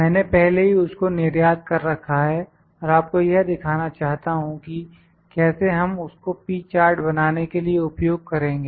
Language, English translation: Hindi, I have already exported that and like to show you that how do we construct the P Chart